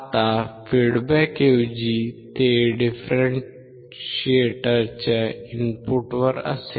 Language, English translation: Marathi, Now instead of at the feedback it will be at the input for the differentiator